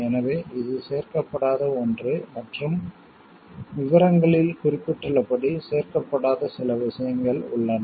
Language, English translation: Tamil, So, it is something which is not included and there are certain things which are not included as mentioned in the details